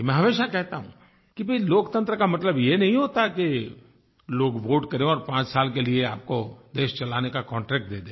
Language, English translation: Hindi, I always stress that Democracy doesn't merely mean that people vote for you and give you the contract to run this country for five years